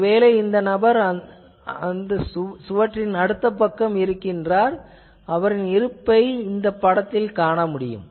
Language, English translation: Tamil, Suppose, this person is behind this wall from the other side of the wall, this image shows that there is a person